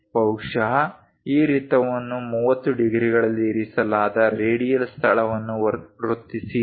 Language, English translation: Kannada, Perhaps this circle the radial location that is placed at 30 degrees